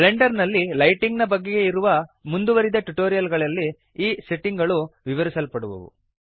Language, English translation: Kannada, These settings will be covered in more advanced tutorials about lighting in Blender